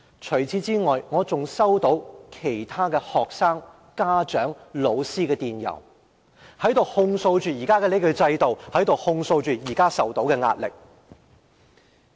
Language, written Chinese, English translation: Cantonese, 除此以外，我還收到其他學生、家長、老師的電郵，控訴現時的制度，以及所承受的壓力。, Apart from this email I have also received emails from other students parents and teachers denouncing the current system and the pressures imposed on them